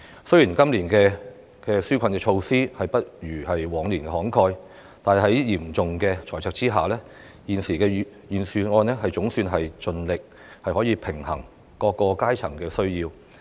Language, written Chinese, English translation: Cantonese, 雖然今年的紓困措施不如往年慷慨，但在嚴重的財赤下，現時預算案總算盡力平衡各階層的需要。, Despite offering a less generous relief package than in the past the current Budget has endeavoured to balance the needs of various strata in the face of a massive fiscal deficit